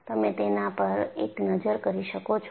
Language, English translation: Gujarati, We can have a look at this